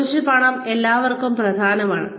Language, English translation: Malayalam, Some amount of money is important for everybody